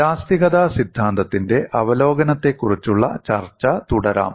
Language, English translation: Malayalam, Let us continue our discussion on review of theory of elasticity